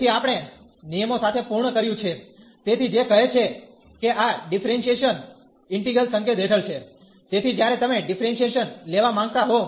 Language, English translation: Gujarati, So, we are done with the rules, so which says that this differentiation under integral sign, so when you want to take the differentiation